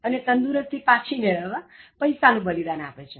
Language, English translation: Gujarati, Then he sacrifices money to recuperate his health